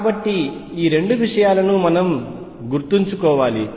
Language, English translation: Telugu, So, these are two things that we keep in mind